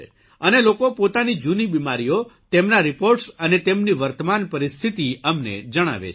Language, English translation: Gujarati, And they tell us the reports of their old ailments, their present condition…